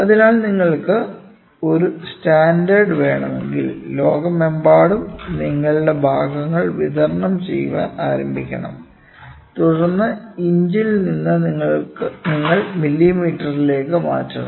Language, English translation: Malayalam, So, if you want to have a standard and then across the world you have to start supplying your parts then people said that from inches let us move to millimetre